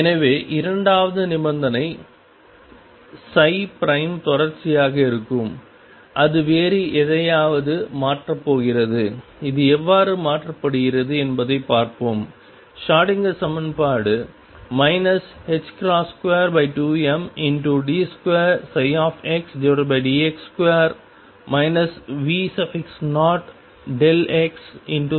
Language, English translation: Tamil, So, the second condition which is psi prime be continuous, it is going to replace by something else and let us see how that is replaced we have the Schrodinger equation d 2 psi 2 psi over d x square minus V 0 delta x psi x equals e psi x